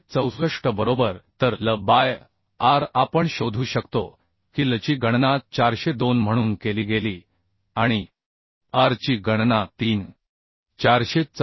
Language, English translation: Marathi, 464 right So l by r we can find out l was calculated as 402 and r was calculated as 3